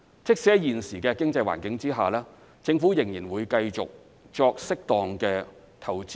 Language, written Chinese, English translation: Cantonese, 即使在現時的經濟環境下，政府仍會繼續對基建作適當投資。, Despite the prevailing economic condition the Government will continue to invest in infrastructure as appropriate